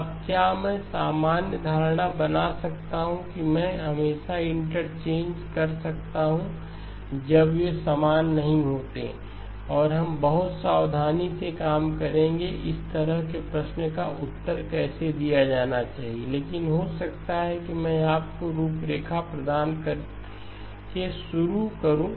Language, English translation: Hindi, Now can I make the general assumption that I can always interchange when they are not the same and we will work out in a very careful manner how such a question is supposed to be answered, but maybe just let me start by giving you the framework